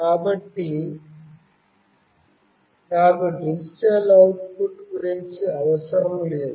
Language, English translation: Telugu, So, I am not concerned about the digital output